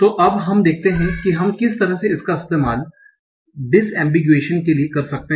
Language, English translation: Hindi, So now let us see how we can use that for some disambiguation